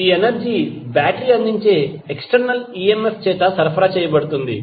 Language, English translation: Telugu, This energy is supplied by the supplied through the external emf that is provided by the battery